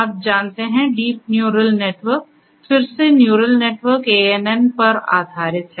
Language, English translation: Hindi, You know, so it deep in your network is again based on neural network ANN’s, but its again with deep deep